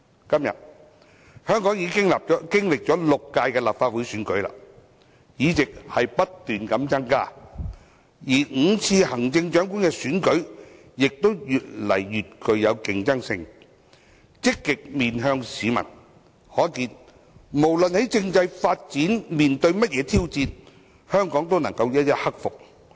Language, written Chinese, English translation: Cantonese, 今天，香港經歷了6屆立法會選舉，議席不斷增加，而5次行政長官選舉亦越來越具競爭性，積極面向市民，可見無論政制發展面對甚麼挑戰，香港都能夠一一克服。, To date Hong Kong has held six Legislative Council elections and the number of seats has been on the increase . The five Chief Executive elections have become increasingly competitive . With the Government positively facing the community at large it can be seen that Hong Kong can overcome various challenges in respect of constitutional development